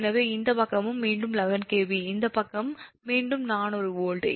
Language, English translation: Tamil, so this side is eleven kv and this side is, say, four hundred volt